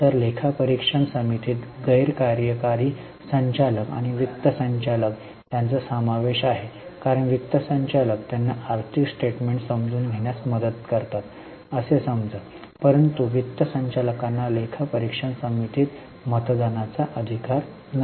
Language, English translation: Marathi, So, audit committee consists of non executive director and a finance director because finance director is supposed to help them in understanding the financial statements